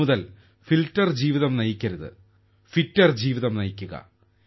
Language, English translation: Malayalam, After today, don't live a filter life, live a fitter life